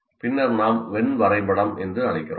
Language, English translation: Tamil, This is what we call Venn diagram